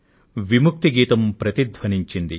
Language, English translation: Telugu, The freedom song resonates